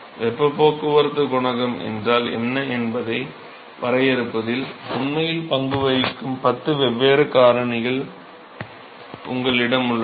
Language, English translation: Tamil, So, you have 10 different factors which are actually play a role in defining, what is the heat transport coefficient